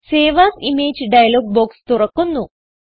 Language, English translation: Malayalam, Save As Image dialog box opens